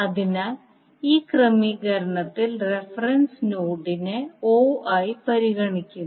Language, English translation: Malayalam, So we are considering reference node as o in this particular arrangement